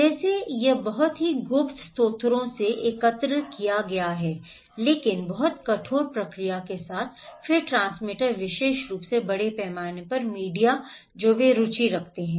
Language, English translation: Hindi, Like, it was collected from very secret sources but with a lot of rigorous process then the transmitter particularly the mass media they are interested